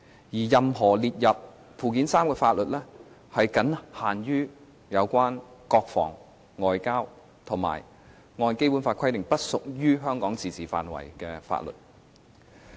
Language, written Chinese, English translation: Cantonese, 而且，任何列入附件三的法律，僅限於有關國防和外交，以及按《基本法》規定，不屬於香港自治範圍的法律。, Moreover laws listed in Annex III shall be confined to those relating to defence and foreign affairs as well as those outside the autonomy of Hong Kong as specified by the Basic Law